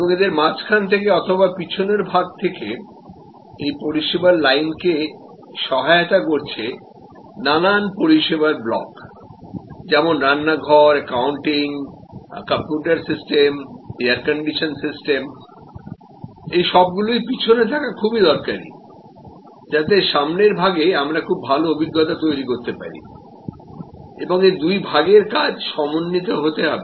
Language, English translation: Bengali, And it is supported by a whole lot of service blocks in the middle and at the back stage, the kitchen, the accounting, the computer system, air condition system all that will be necessary at the back end to give a good experience at the front end and this whole thing as to work together